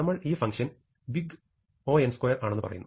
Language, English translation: Malayalam, Now, we can also show that things are not big O